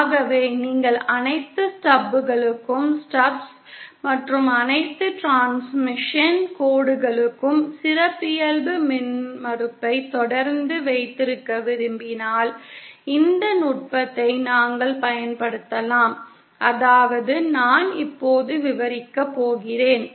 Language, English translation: Tamil, So if you want to keep the a characteristic impedance for all the stubs and all the transmission lines constant then we can employ this technique that is that that I am going to describe now